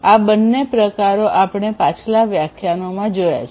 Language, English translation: Gujarati, We have seen both of these types in the previous lectures